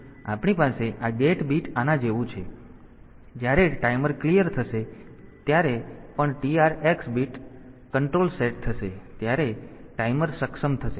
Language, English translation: Gujarati, So, we have this gate bit is like that, when cleared the timer will the timer is enabled whenever the TR x control bit is set